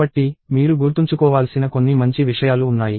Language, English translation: Telugu, So, there are a few fine points that you have to remember